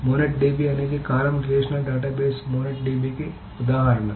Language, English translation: Telugu, Monet DB is an example of a columnar relational database, Munadip